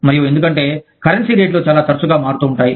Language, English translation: Telugu, And, because, currency rates fluctuate, very frequently